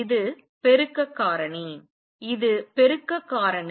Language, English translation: Tamil, This is the amplification factor, this is the amplification factor